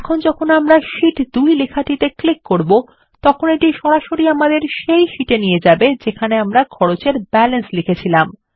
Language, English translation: Bengali, Now, when we click on the text Sheet 2, it directly takes us to the sheet where we had entered the balance for Cost